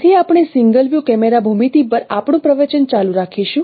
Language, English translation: Gujarati, So, we will continue our lecture on single view camera geometry